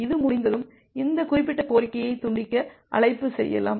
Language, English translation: Tamil, And once this is done, then you can make a disconnect call to disconnect this particular request